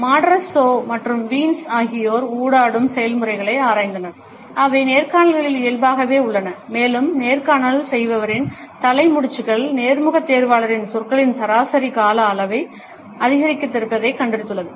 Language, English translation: Tamil, Matarazzo and Wiens have examined the interactive processes, which are inherent in interviews and found that head nods by the interviewer, increased average duration of utterances by the interviewee